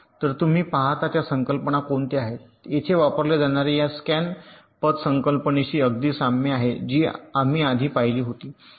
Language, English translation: Marathi, so you see that the concepts which are used here are very similar to this scan path concept that we had seen just earlier